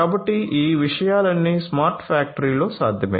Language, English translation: Telugu, So, all of these things are possible in a smart factory